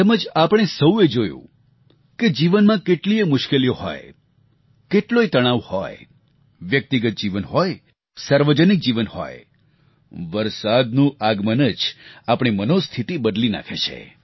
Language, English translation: Gujarati, One has seen that no matter how hectic the life is, no matter how tense we are, whether its one's personal or public life, the arrival of the rains does lift one's spirits